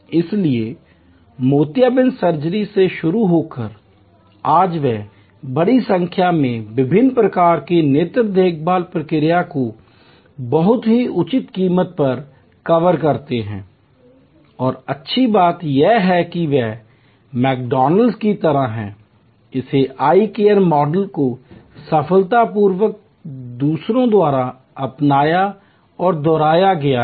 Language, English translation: Hindi, So, starting from cataract surgery today they cover a large number of different types of eye care procedures at a very reasonable cost and the good thing it is just like McDonald's, this eye care model has been successfully replicated adopted and replicated by others